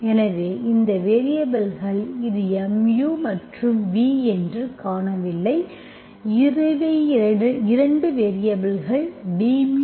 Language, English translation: Tamil, So these are variables, you do not see this is mu and v, these are the 2 variables d mu by mu equal to Phi v into dv